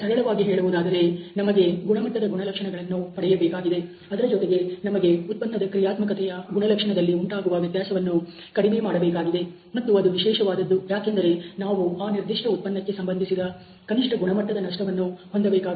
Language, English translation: Kannada, So, simply stating we want to achieve the target of quality characteristic, but at the same time, we want to minimize the variation in the products functional characteristics and that is typically because we wanted to have a minimum quality loss associated with this particular product